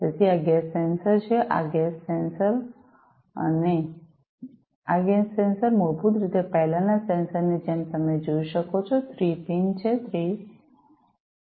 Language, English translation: Gujarati, So, this is the gas sensor, this is a gas sensor right, and this gas sensor basically like the previous sensors as you can see has 3 pins 3; pins, 3 ports